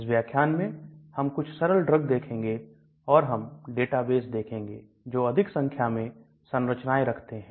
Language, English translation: Hindi, In this class, we are going to look at some simple drugs and we are also going to look at some databases which give a large number of structures